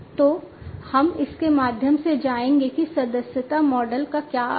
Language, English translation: Hindi, So, we will go through it, you know what it means by the subscription model so subscription model